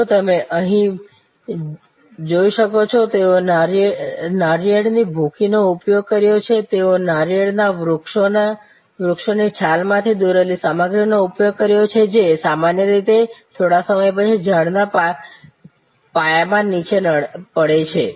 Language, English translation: Gujarati, If you can see here, they have used coconut husks, they have used material drawn from a palm tree barks which usually falls down at the base of the tree after some time